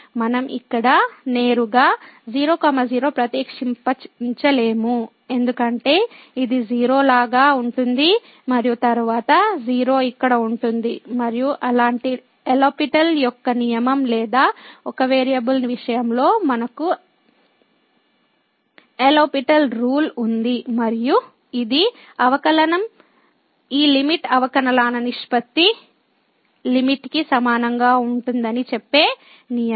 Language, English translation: Telugu, We cannot just directly substitute here because this will be like a 0 and then 0 here and there is no such an L'Hospital rule which we can apply in case of one variable we had the L'Hospital rule and which says that the derivative this limit will be equal to the limit of the ratio of the derivatives